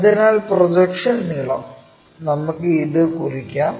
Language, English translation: Malayalam, So, that the projection line is this